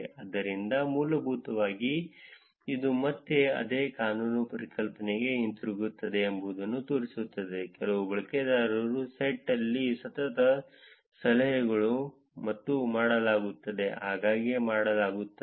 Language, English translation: Kannada, So, essentially what this shows is again it is going back to the same power law concept, there are some set of users where there is consecutive tips and dones are done very frequently